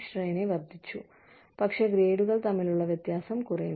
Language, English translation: Malayalam, The range is increased, but the difference, between the grades is reduced